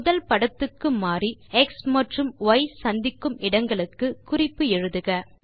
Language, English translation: Tamil, Switch back to the first figure,annotate the x and y intercepts